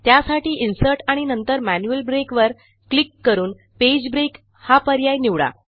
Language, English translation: Marathi, This is done by clicking Insert Manual Break and choosing the Page break option